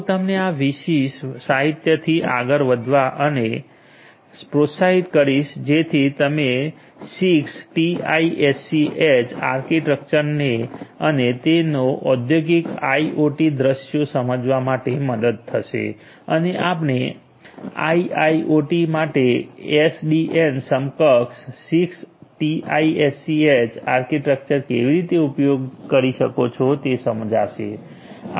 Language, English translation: Gujarati, This particular literature I would encourage you to go through in order to understand the 60’s architecture and it is adoption for industrial IoT scenarios and how you could have the SDN enabled for the 6TiSCH architecture for a IIoT